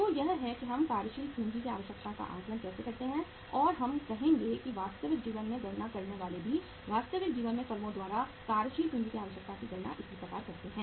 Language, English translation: Hindi, So this is how we assess the working capital requirement and we will be say uh calculating in the real life also the industries the firms in the real life also they also calculate the working capital requirement this way